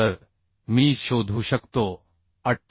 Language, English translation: Marathi, 25 so I can find out 58